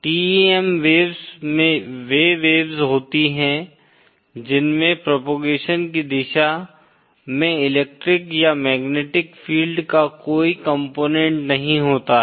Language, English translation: Hindi, TEM waves are waves which do not have any component of electric or magnetic field along the direction of propagation